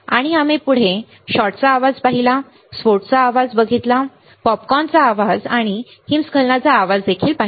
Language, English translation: Marathi, And next we have seen shot noise, we have seen the burst noise, we have seen the popcorn noise, we have seen the avalanche noise right